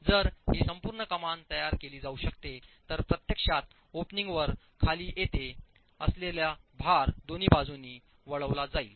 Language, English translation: Marathi, If this complete arch can be formed then the load that is actually coming down to the opening gets diverted to the two sides